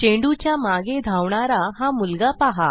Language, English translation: Marathi, Watch this boy, who is chasing the ball